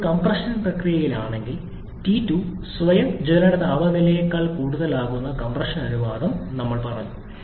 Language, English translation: Malayalam, Now, if during the compression process, we said the compression ratio such that the T2 becomes higher than the self ignition temperature